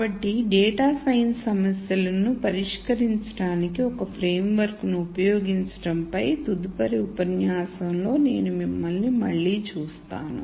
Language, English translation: Telugu, So, I will see you again in the next lecture on the use of a framework for solving data science problems